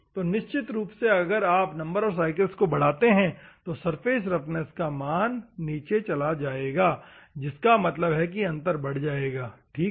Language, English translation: Hindi, Obviously, as you go on increasing number of cycles your surface roughness value will go down; that means that the difference will go up, ok